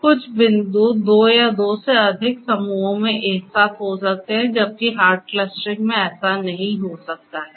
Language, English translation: Hindi, Certain points may belong to two or more clusters together whereas, that cannot happen in hard clustering